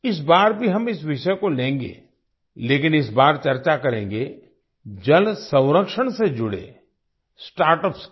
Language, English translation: Hindi, This time also we will take up this topic, but this time we will discuss the startups related to water conservation